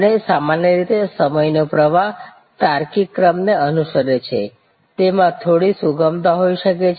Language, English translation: Gujarati, And usually the time flow follows a logical sequence, there can be some flexibility